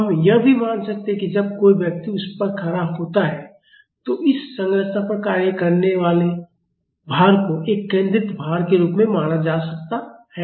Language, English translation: Hindi, We can also assume that when a person is standing on it the load acting on this structure can be treated as a concentrated load